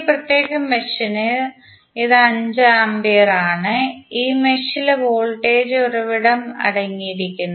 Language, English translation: Malayalam, So, this is 5 ampere for this particular mesh, this mesh contains voltage source